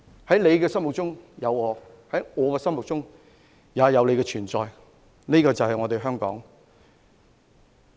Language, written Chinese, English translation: Cantonese, 在你的心中有我，在我的心中有你——這便是香港。, In your heart there is me and in my heart there are you . This is Hong Kong